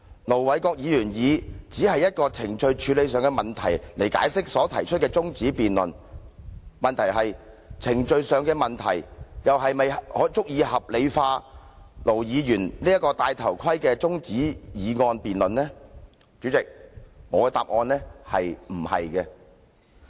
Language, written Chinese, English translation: Cantonese, 盧議員以程序處理問題來解釋他動議中止待續議案一事，但問題是，程序處理問題是否足以合理化盧議員這項"戴頭盔"的中止待續議案呢？, Ir Dr LO explained that he moved the adjournment motion as a matter of procedure . The problem is can a matter of procedure rationalize this adjournment motion of Ir Dr LO who is acting chicken